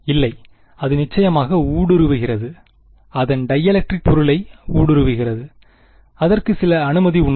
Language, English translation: Tamil, No, it is penetrating of course, its penetrating its dielectric object, it has some permittivity